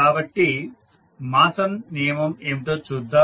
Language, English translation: Telugu, So, let us see what was the Mason rule